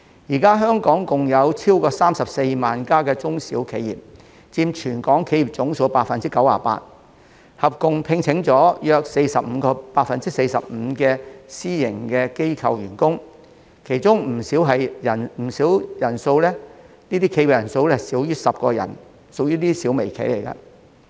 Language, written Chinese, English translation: Cantonese, 現時香港共有超過34萬間中小企，佔全港企業總數 98%， 合共聘用約 45% 的私營機構員工，當中不小企業的人數少於10人，屬於小微企。, Currently there are over 340 000 SMEs in Hong Kong covering 98 % of Hong Kongs business establishments and employing about 45 % of the workforce in the private sector . Many of these SMEs which employ less than 10 employees are micro - enterprises